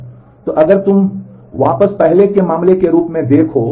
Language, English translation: Hindi, So, if you if you look back as to earlier case